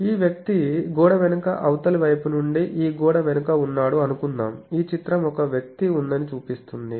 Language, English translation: Telugu, Suppose, this person is behind this wall from the other side of the wall, this image shows that there is a person